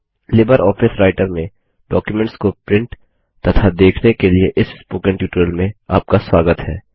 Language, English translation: Hindi, Welcome to the Spoken tutorial on LibreOffice Writer Printing and Viewing documents